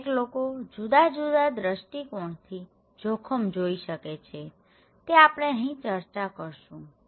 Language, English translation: Gujarati, Now, each one see risk from different perspective, we will discuss this here okay